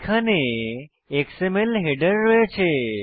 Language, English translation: Bengali, We have an xml header here